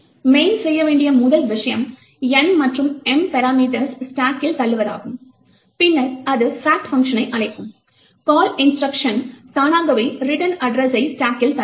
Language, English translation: Tamil, The first thing that main would do is to push the parameters N and M onto the stack and then it would call the fact function, the call instruction would automatically push the return address onto the stack